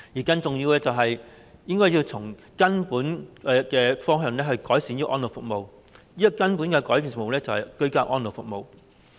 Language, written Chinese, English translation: Cantonese, 更重要的是，政府應該從根本方向改善安老服務，即是提供居家安老服務。, More importantly the Government should fundamentally improve elderly services by promoting ageing in place